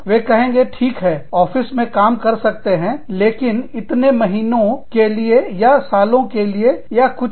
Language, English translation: Hindi, And then, they say, okay, you can work in this country, for these many months, or years, or whatever